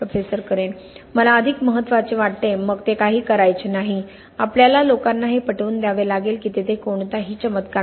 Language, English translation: Marathi, I think more important, then it is not lot to do, we have to convince people that there is no miracle out there